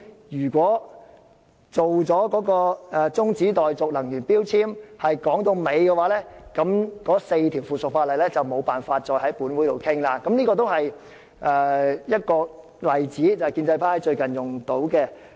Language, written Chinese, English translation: Cantonese, 如果有關《能源效益條例》的中止待續議案能夠討論至會議結束，該4項附屬法例便無法再在本會討論，這是建制派最近"拉布"的例子。, If the discussion of the adjournment motion in relation to the Energy Efficiency Ordinance could go on till the end of the meeting those four items of subsidiary legislation could not be discussed by the Council . This is a recent example of filibustering by the pro - establishment camp